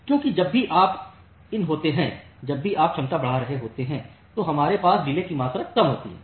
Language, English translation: Hindi, Because whenever you have in, whenever you are increasing the capacity we will have less amount of delay